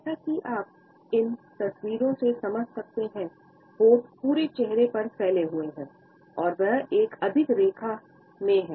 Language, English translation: Hindi, As you can make out from these photographs the lips are is stretched tight across face and the lips are in a straight line